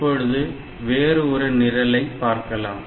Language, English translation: Tamil, So, next we will look into another example program